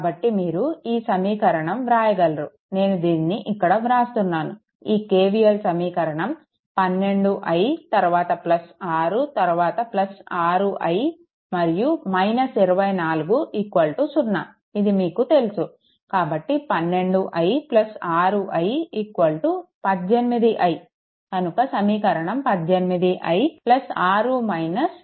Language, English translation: Telugu, So, therefore, you can make it I am writing it writing here for you, it is 12 I, then plus now you know everything plus 6, then plus 6 I, then minus 24 is equal to 0 right; that means, your 12 i plus 6 6 i 18 i is equal to 18, 18 i is equal to eighteen